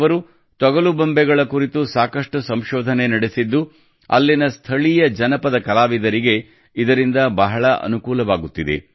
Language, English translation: Kannada, He has also done a lot of research on leather puppets, which is benefitting the local folk artists there